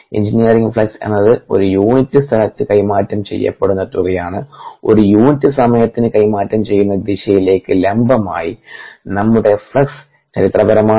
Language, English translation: Malayalam, engineering term flux is amount transferred per unit area perpendicular to the direction of transfer per unit time, that's of flux